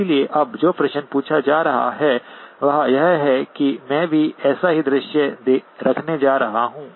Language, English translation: Hindi, So now the question that is being asked is that I am going to have the same scenario